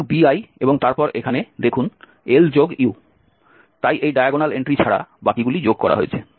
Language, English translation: Bengali, So bi and then the see here L plus U, so except this diagonal entry the rest are summed up